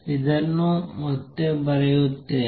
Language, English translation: Kannada, Let me write this again